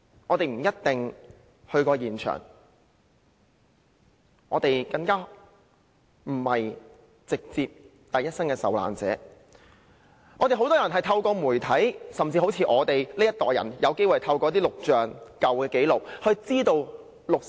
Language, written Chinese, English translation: Cantonese, "我們不一定到過現場，更不是第一身的受難者，很多人透過媒體知悉六四事件，正如我這一代人，是透過錄像和舊紀錄得知。, We might not be there or be the first - hand victim . Many people learnt about the 4 June incident through the media so does my generation who learnt about it through videos and archived records